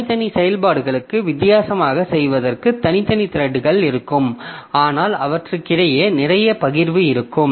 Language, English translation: Tamil, So, we will have separate threads for doing different for separate operations, but there will be lots of sharing between them